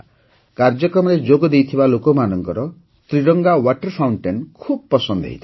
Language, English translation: Odia, The people participating in the program liked the tricolor water fountain very much